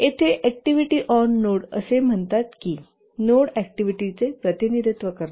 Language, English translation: Marathi, And here in the activity on node diagram as the name says that the nodes represent the activities